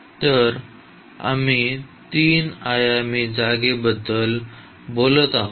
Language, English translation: Marathi, So, we are talking about the 3 dimensional space